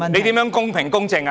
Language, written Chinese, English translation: Cantonese, 他如何公平、公正？, How is he fair and impartial?